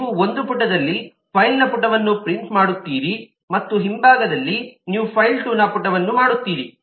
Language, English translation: Kannada, you on page you print a page of file 1 and in the back you print the page of file 2